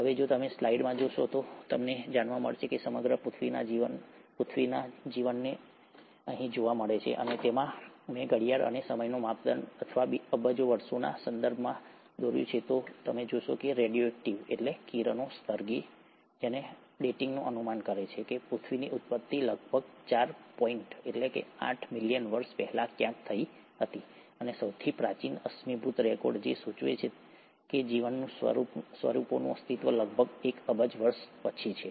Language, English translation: Gujarati, Now if you notice in the slide, if you were to look at the life of earth as a whole, and here I’ve drawn a clock and the time scale or in terms of billions of years, what you’ll notice is that the radio active dating estimates that the origin of earth happened somewhere close to four point eight billion years ago, and, the earliest fossil records which suggest existence of life forms is about a billion years later